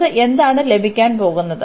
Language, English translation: Malayalam, So, what do we get